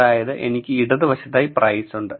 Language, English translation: Malayalam, So, I have price on the left